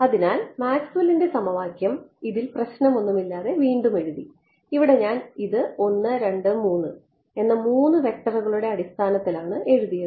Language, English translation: Malayalam, So, Maxwell’s equation were re written in this no problem from here I wrote it in terms of 3 vectors 1 2 3